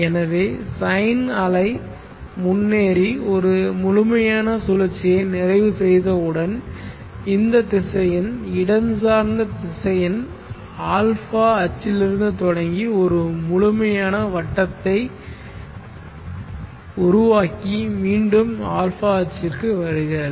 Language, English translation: Tamil, So once the sine wave has progressed and completed 1 complete cycle this vector the space vector has started from the a axis and made a complete circle and come back to the